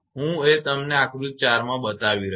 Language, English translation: Gujarati, I shown you the figure 4